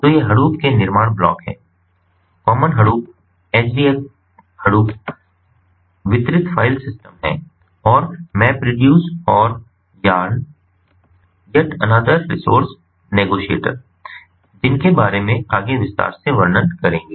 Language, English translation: Hindi, so these are building blocks of hadoop, hadoop common, hdfs is ah hadoop distributed file system, mapreduce and yarn, which stands for yet another resource negotiator